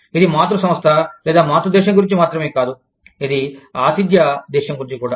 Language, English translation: Telugu, It is not only about, the parent company or parent country, it is also about, the host country